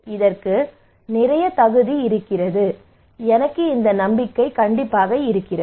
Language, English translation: Tamil, It has lot of merit, and I have this confidence